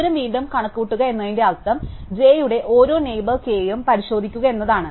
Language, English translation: Malayalam, So, recomputing the distance means examining every neighbour k of j